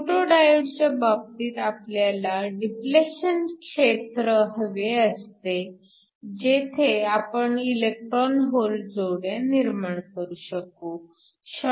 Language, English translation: Marathi, So, In the case of a photo diode we want a depletion region, so that we can generate electron hole pairs